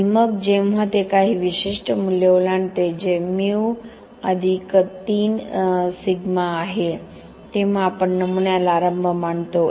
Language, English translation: Marathi, And then when it crosses some certain value that is Mu + 3 Sigma then we consider the specimen to be initiated